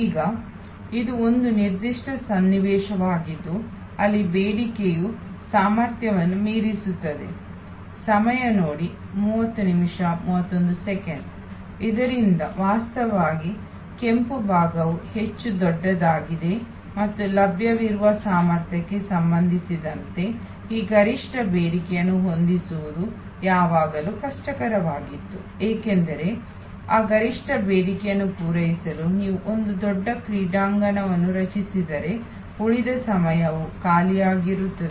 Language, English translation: Kannada, So, this is where actually the red part is much bigger and it was always difficult to match this peak demand with respect to capacity available, because if you created a huge stadium to meet that peak demand, rest of the time it will be lying vacant